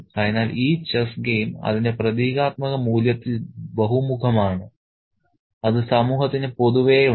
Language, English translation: Malayalam, So, this game of chess is multi dimensional in its symbolic value that it has for the society at large